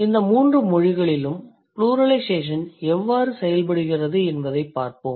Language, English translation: Tamil, In these three languages, let's see how the pluralization works